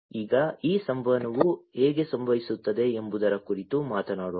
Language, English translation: Kannada, Now, let us talk about how this communication happens